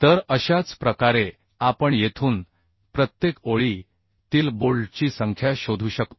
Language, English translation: Marathi, Then we can find out approximate number of bolts per line